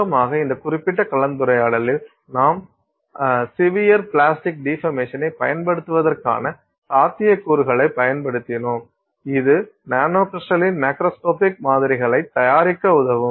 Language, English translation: Tamil, In summary, we used in this particular discussion the possibility that we can use severe plastic deformation as a process that will enable us to fabricate macroscopic samples that are nanocrystalline